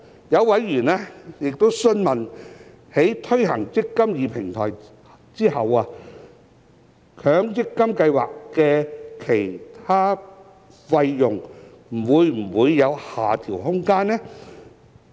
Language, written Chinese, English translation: Cantonese, 有委員詢問，在推行"積金易"平台後，強積金計劃的其他費用會否有下調空間。, Some members have enquired whether there will be room for reduction of other fees of MPF schemes after implementation of the eMPF Platform